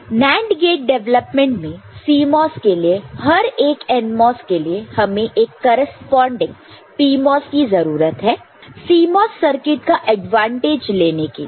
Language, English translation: Hindi, So, in NAND gate development CMOS we need for every NMOS another corresponding PMOS to get the advantage of the CMOS circuitry